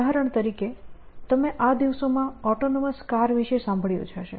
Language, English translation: Gujarati, So, for example, you must have heard about autonomous cars now a days